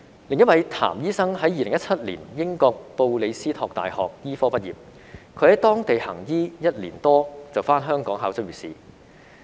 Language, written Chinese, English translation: Cantonese, 另一位譚醫生在2017年英國布里斯托大學醫科畢業，他在當地行醫一年多，便回港考執業試。, Another doctor Dr TAM graduated from the University of Bristol in the United Kingdom in 2017 and practised there for a year or so before returning to Hong Kong to take the Licensing Examination